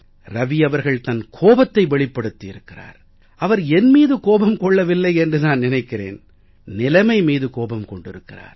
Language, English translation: Tamil, Ravi ji has expressed his anger but I think he is not venting his anger on me but on the prevailing conditions